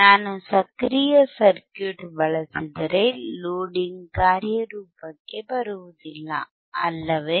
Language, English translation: Kannada, iIf I use active circuit, the loading will not come into play, correct